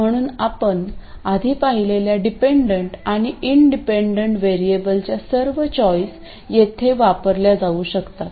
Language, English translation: Marathi, So, all the choices of dependent and independent variables you saw earlier can also be used here